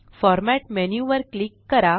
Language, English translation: Marathi, click on Format menu and choose Spacing